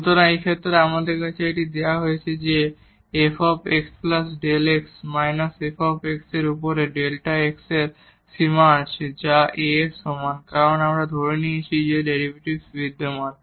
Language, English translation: Bengali, So, in this case we have that this is given here f x plus delta x minus fx over delta x has the limit which is equal to A because we have assumed that the derivative exist